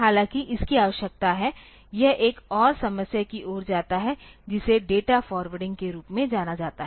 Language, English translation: Hindi, However, it needs the; it leads to another problem which is known as data forwarding